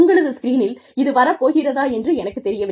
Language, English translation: Tamil, I do not know, if this is probably coming, in your screens